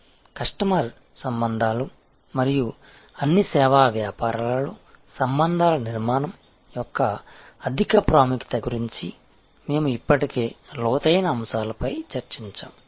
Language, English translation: Telugu, We were already discussed in depth aspects regarding customer relationship and the high importance of relationship building in all service businesses